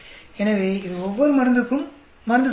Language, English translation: Tamil, So, this is the drug average for each one of the drug